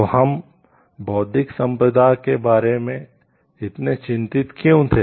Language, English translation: Hindi, So, why we were so concerned about intellectual property